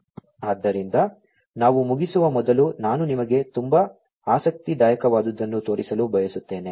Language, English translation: Kannada, So, before we end I wanted to show you something very interesting